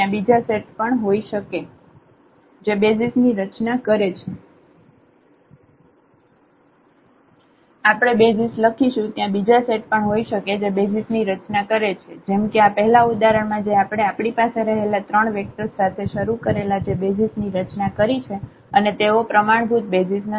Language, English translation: Gujarati, There can be other set which can also form the basis like in the example of the first example which we started with we had those 3 vectors which form the basis and they were not the standard basis